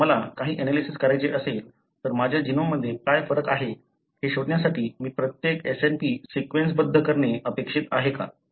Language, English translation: Marathi, So, if I have to do some analysis, am I expected to sequence every SNP to find what is the variation that is there in my genome